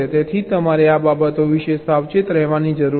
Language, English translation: Gujarati, so you have to be careful about these things